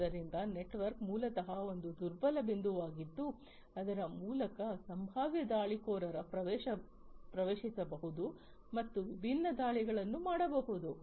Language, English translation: Kannada, So, network, basically is a vulnerable point through which potential attackers can get in and launch different attacks